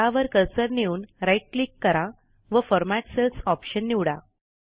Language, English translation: Marathi, Now do a right click on cell and then click on the Format Cells option